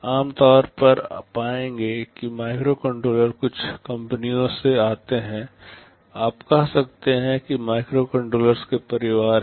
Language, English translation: Hindi, Typically you will find that microcontrollers come from certain companies; you can say these are family of microcontrollers